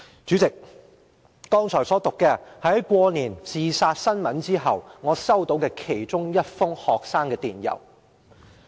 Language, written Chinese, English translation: Cantonese, "主席，我剛才所讀的，是在新年學生自殺新聞後，我收到的其中一封學生給我的電郵。, President just now I was reading out one of the emails that I received from a student after the incidents of student committing suicide during the Lunar New Year were reported